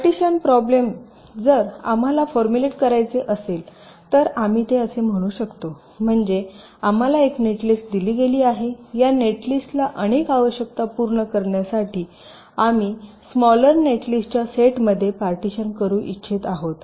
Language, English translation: Marathi, if we want to formulate so we can say it like this: so we are given a netlist, we are wanting to partition this netlist into a set of smaller netlists, with a number of these requirements to be satisfied